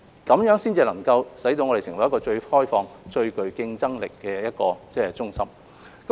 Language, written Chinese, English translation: Cantonese, 這樣才能令我們成為最開放、最具競爭力的中心。, This is how Hong Kong can emerge as the most open and competitive centre